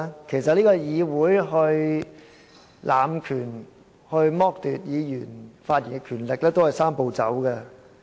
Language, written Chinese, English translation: Cantonese, 其實議會濫權，剝奪議員的發言權利，也是"三步走"。, In fact in abusing power and depriving Members of their right to speak the Legislative Council is undergoing a Three - step Process too